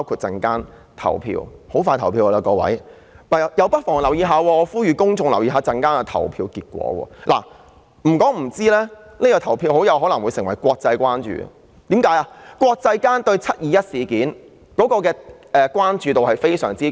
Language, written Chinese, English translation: Cantonese, 大家很快便要投票，我呼籲公眾留意稍後的投票結果，因為這次的投票結果很可能會成為國際關注的事情，因為國際間對"七二一"事件有非常高的關注度。, Members are going to vote soon . I call on the public to pay attention to the voting result later because the voting result will likely become a matter of international concern because of the high international attention drawn to the 21 July incident